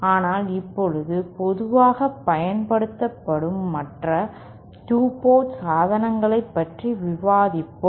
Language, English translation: Tamil, But right now, let us discuss the other 2 port devices that are used commonly